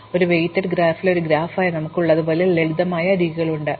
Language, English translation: Malayalam, But, in an unweighted graph that is a graph which just has simple edges the way we have it now